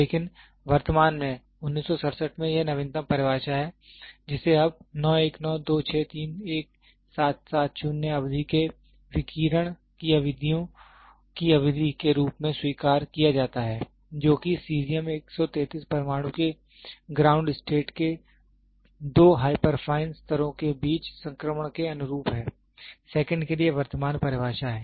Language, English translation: Hindi, But currently, in 1967 this is the latest definition which is now accepted the duration of 9192631770 periods of the radiance of the radiation corresponding to the transition between the two hyperfine levels of the ground state of the Caesium 133 atom is the current definition for seconds